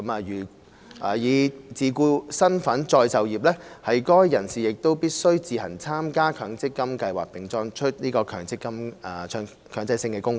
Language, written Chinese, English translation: Cantonese, 如以自僱身份再就業，該人士則必須自行參加強積金計劃並作出強制性供款。, If they are engaged in re - employment in the form of self - employment they must participate in an MPF scheme on their own and make mandatory contributions